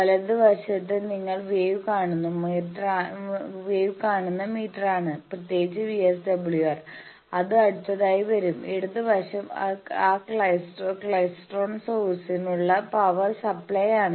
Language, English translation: Malayalam, The right 1 is the meter where you see the waves various parameters particularly VSWR, which will come next and left side is the power supply for that klystron source